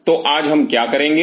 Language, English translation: Hindi, So, today what we will do